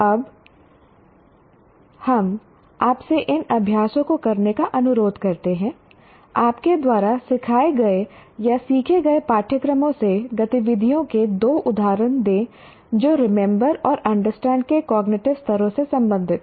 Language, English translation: Hindi, Give two examples of activities from the courses you taught or learned that belong to the cognitive levels of remember and understand